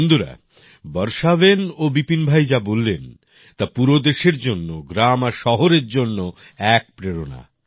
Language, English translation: Bengali, Friends, what Varshaben and Vipin Bhai have mentioned is an inspiration for the whole country, for villages and cities